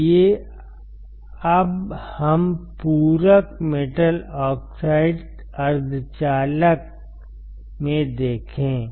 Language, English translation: Hindi, Let us go to another point and that is your complementary metal oxide semiconductor